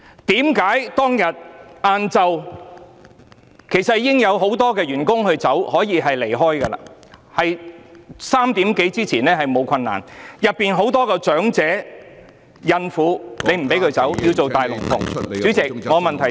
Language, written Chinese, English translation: Cantonese, 為何當天下午其實很多員工已可以離開，而下午3時多之前離開並沒有困難，但警方不讓警察總部內的許多較年長人員或孕婦離開，要做"大龍鳳"......, In fact many employees could have left on that afternoon and it was not difficult to do so before 3col00 pm . However the Police did not let the many older staff members or the pregnant woman in PHQ to leave . Instead what they wanted was to make such a song and dance